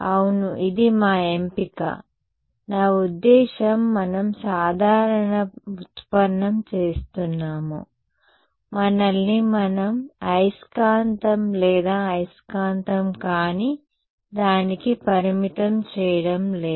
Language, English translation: Telugu, Yeah, it is an our choice, I mean we are doing a general derivation, we are not restricting ourselves to magnetic or non magnetic